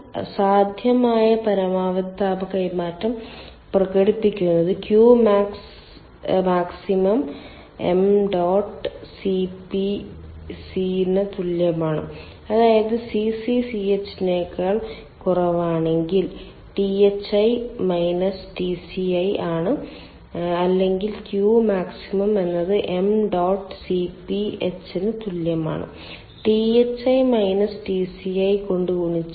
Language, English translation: Malayalam, therefore, the maximum possible heat transfer is expressed as q max is equal to m dot cp c, that is, thi minus tci, if cc is less than ch, or q max is equal to m dot cp h multiplied by thi minus tci